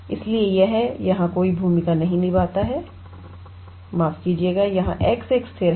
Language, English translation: Hindi, So, it does not play any role here and we will just integrate with sorry here x is a constant